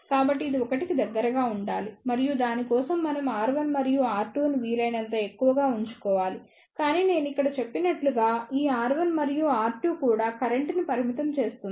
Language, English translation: Telugu, So, our purpose should be that this should be S close to 1 and for that we should choose R 1 and R 2 as high as possible, but as I mentioned here, this R 1 and R 2 also limits the current